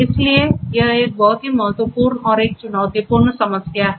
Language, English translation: Hindi, And this is a very important and a challenging problem